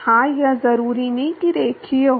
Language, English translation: Hindi, Yeah, it is not necessarily linear